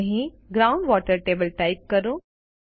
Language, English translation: Gujarati, Here, lets type Ground water table